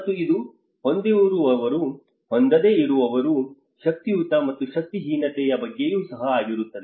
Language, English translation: Kannada, And it is also about haves and have nots, power and powerful and powerlessness